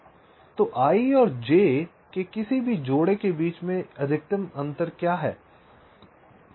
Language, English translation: Hindi, so what is the maximum difference in the delays between any pair of i and j